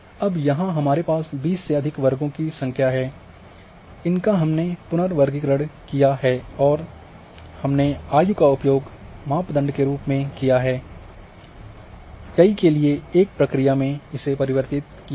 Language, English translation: Hindi, So, we have now number of classes here we have more than 20 say, now we have reclassified and we have used the age as a one of the criteria and reduced the many to one